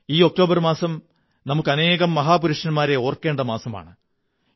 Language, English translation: Malayalam, The month of October is a month to remember so many of our titans